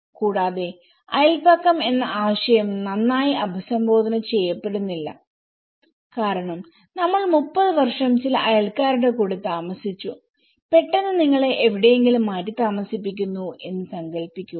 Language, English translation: Malayalam, Also, the neighbourhood concept is not well addressed because imagine 30 years we lived in a company of some of your neighbours and suddenly you are allocated somewhere